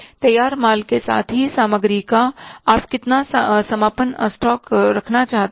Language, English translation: Hindi, How much closing stock of the finished goods as well as of the inventory you want to keep